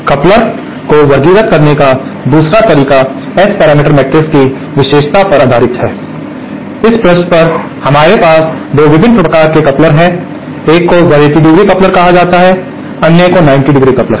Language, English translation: Hindi, The other way of classifying couplers is based on a property in the S parameter matrix and page on this we can have 2 different types of couplers, one is called 180¡ coupler and the other is the 90¡ coupler